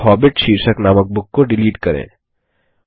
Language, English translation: Hindi, Delete the book that has the title The Hobbit 3